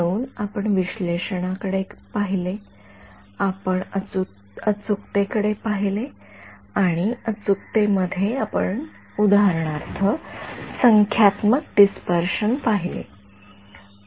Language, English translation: Marathi, So, we looked at analysis, we looked at accuracy and in accuracy we looked at for example, dispersion numerical